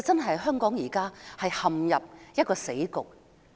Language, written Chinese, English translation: Cantonese, 香港現在真的陷入死局。, Hong Kong is really stuck in a dead end